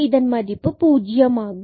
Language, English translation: Tamil, So, we will get this again as 0